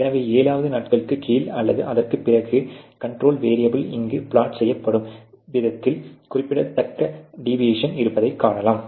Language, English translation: Tamil, So, you can see that below the or beyond the 7th day there has been a significant deviation in the way that the control variable is being plotted here